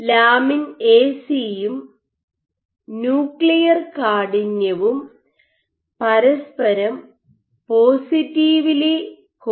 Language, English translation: Malayalam, So, your lamin A/C and nuclear stiffness also positively related and